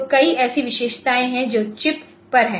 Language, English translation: Hindi, So, there many such features that are on chip